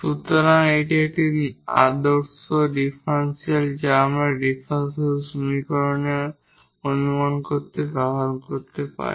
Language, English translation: Bengali, So, this is one of the standard differential which we can use a in guessing the differential equation